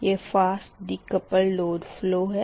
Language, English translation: Hindi, next is that fast decoupled load flow